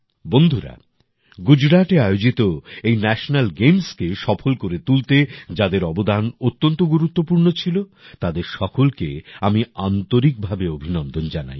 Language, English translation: Bengali, Friends, I would also like to express my heartfelt appreciation to all those people who contributed in the successful organization of the National Games held in Gujarat